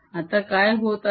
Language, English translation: Marathi, what is happening now